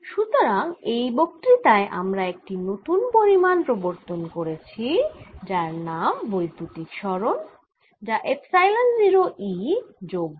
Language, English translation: Bengali, so in this lecture we have introduced a new quantity called electric displacement, which is epsilon zero e plus p